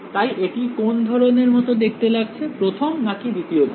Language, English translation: Bengali, So, its what kind does it look like, first or second kind